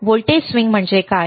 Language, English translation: Marathi, What is voltage swing